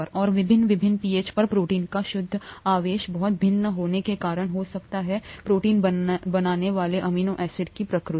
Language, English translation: Hindi, And at various different pHs, the net charge in the protein could be very different because of the nature of the amino acids that make up the protein